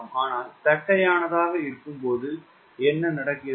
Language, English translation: Tamil, but when you are flattened it, then what is happening